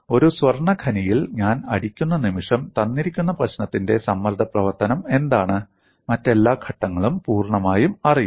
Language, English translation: Malayalam, The moment I strike a gold mine what is the stress function for a given problem, all other steps are completely known